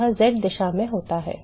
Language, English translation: Hindi, it takes place in the z direction